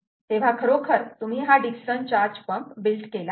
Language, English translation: Marathi, you have actually built a dickson charge pump